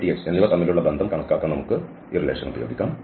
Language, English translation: Malayalam, So, we can use this relation to compute the relation between dy and dx